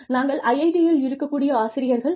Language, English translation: Tamil, We are teachers at IIT